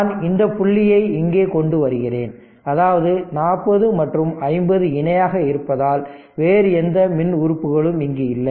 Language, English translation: Tamil, I mean what i did i bring this point bring this point here right; that means, 40 and 50 in parallel because no other electrical element is here